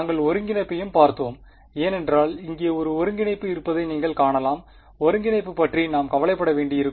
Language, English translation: Tamil, And we also looked at integration because you can see there is an integration here we will have to worry about integration ok